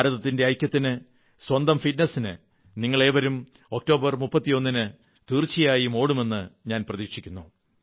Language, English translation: Malayalam, I hope you will all run on October 31st not only for the unity of India, but also for your physical fitness